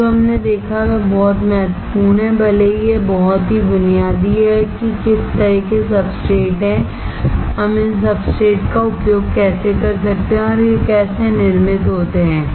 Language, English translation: Hindi, What we have seen today is very important, even though it is very basic, that what kind of substrates are there, how can we use these substrates and how these are manufactured